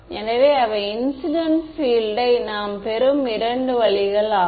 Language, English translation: Tamil, So, those are the two ways in which we get the incident field yeah